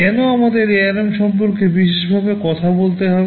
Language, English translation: Bengali, WSo, why do you we have to talk specifically about ARM